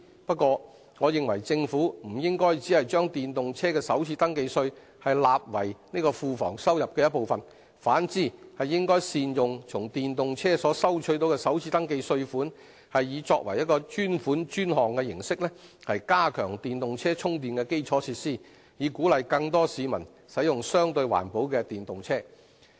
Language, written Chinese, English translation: Cantonese, 不過，我認為政府不應只把電動車的首次登記稅納為庫房收入的一部分，反之應善用從電動車所收取的首次登記稅款，以專款專項的形式，加強電動車充電的基礎設施，以鼓勵更多市民使用相對環保的電動車。, However I think the Government should not merely deposit the First Registration Tax received from electric vehicles in the Treasury as part of the government revenue but should put the tax money so collected to optimal use by applying the concept of dedicated - fund - for - dedicated - use so that the tax money would be used for improving the charging infrastructure with a view to encouraging more drivers to switch to electric vehicles which are relatively environmentally friendly